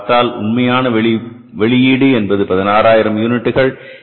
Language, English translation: Tamil, You are given very clearly the actual output is 16,000 units